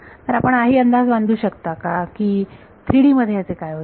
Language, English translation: Marathi, So, can you guess in 3D what will happen